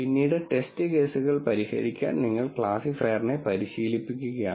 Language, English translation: Malayalam, So, you are training the classifier to be able to solve test cases later